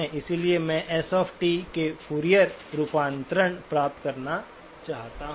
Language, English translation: Hindi, So I want to get the Fourier transform of S of t